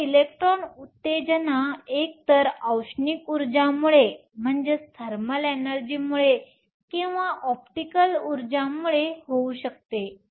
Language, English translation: Marathi, This electron excitation can either occur because of thermal energy or because of optical energy